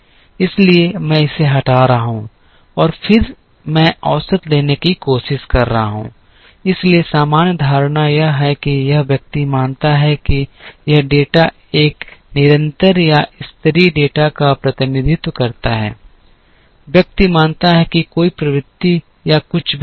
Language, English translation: Hindi, So, I am removing this and then I am trying to take the average, so the general assumption is that this person believes that this data represents a constant or level data, person assumes that is there is no trend or anything